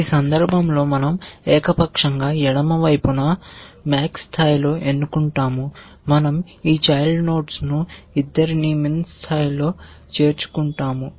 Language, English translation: Telugu, In this case we arbitrarily choose a left side at max level we add both this children at min level we add one child